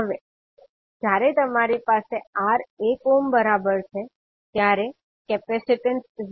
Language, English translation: Gujarati, Now when you have R is equal to 1 ohm then C will be 0